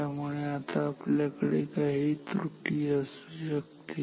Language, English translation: Marathi, So, we can have some error